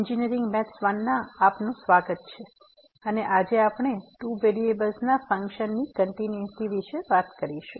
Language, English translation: Gujarati, Welcome to engineering mathematics 1 and today we will be talking about a Continuity of Functions of two Variables